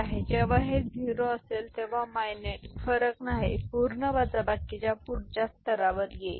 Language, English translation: Marathi, So, when it is 0 then the mineuend, not the difference, will come to the next level of full subtractor ok